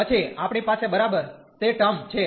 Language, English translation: Gujarati, And then we have only the first term